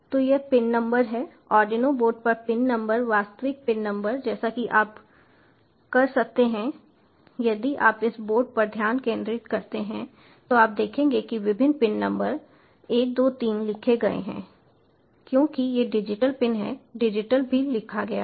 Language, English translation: Hindi, so this pin is the number, the pin number, actual pin number on the arduino board, as you can, ah, if you focus on this board, you will see various pin numbers are written over here, one, two, three